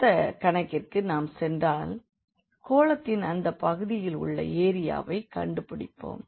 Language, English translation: Tamil, So, moving to the next problem we will find now the area of that part of the sphere